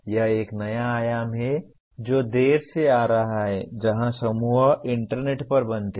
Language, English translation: Hindi, This is a new dimension that has been coming of late where groups are formed over the internet